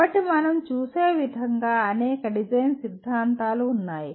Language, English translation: Telugu, So there are several design theories as we see